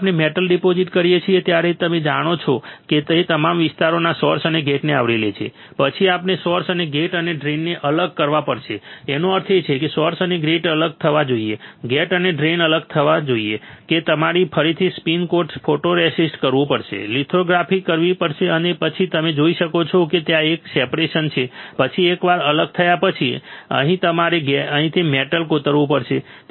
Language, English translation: Gujarati, When we deposit the metal you can see this it is covering all the area source and as well as gate, then we have to separate the source and gate and drain; that means, source and gate should be separated, gate and drain should be separated to do that you have to again spin coat photoresist, do the lithography and then you can see there is a separation, then once the separation is there you had to etch the metal from here